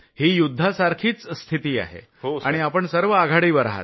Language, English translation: Marathi, This is a warlike situation and you all are managing a frontline